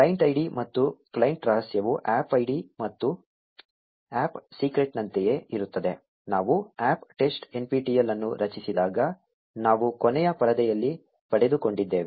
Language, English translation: Kannada, The client id and client secret are the same as the APP ID and APP Secret that we just obtained in the last screen when we created the APP test nptel